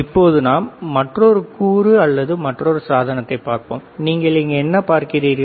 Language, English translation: Tamil, Let us see another component or another device, which is this one now let us keep this separate, what you see here